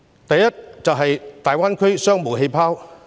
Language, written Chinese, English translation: Cantonese, 第一階段是大灣區商務氣泡。, The first phase is the launching of business bubbles in the Greater Bay Area